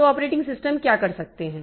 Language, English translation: Hindi, So, what the operating systems can do